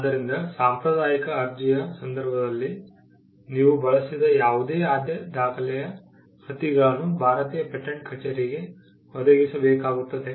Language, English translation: Kannada, So, whatever priority document that you used in the case of a convention application, copies of that has to be provided to the Indian patent office